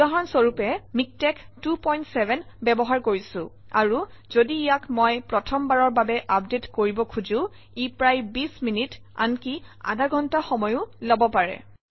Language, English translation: Assamese, For example, here I am using MikTeX 2.7, and if I try to update it the very first time it could take about 20 minutes or even half an hour